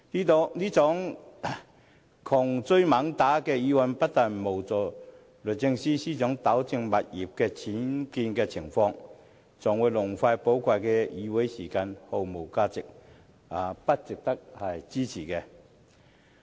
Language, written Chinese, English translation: Cantonese, 這種窮追猛打的議案，不但無助律政司司長糾正物業的僭建情況，還浪費寶貴的議會時間，毫無價值，不值得支持。, Not only does this motion which seeks to pursue the Secretary for Justice ceaselessly fail to help her rectify the unauthorized building works UBWs in her property but also wastes the precious Councils time . This motion is worthless and should not be supported